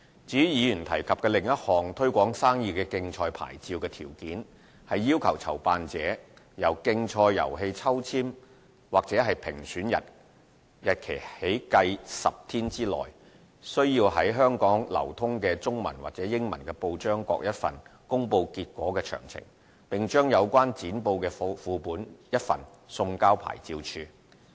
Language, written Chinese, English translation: Cantonese, 至於議員提及的另一項"推廣生意的競賽牌照"的條件，是要求籌辦者由競賽遊戲抽籤或評選日期起計10天內，須在香港流通的中文及英文報章各一份公布結果詳情，並將有關剪報的副本一份送交牌照事務處。, As for another condition mentioned by the Councillor ie . a condition for the Trade Promotion Competition Licence it requires a promoter to publish within 10 days from the date of draw or judging results of the competition in one English and one Chinese newspaper circulating in Hong Kong and to forward a copy of the relevant newspaper cuttings to the Office of Licensing Authority OLA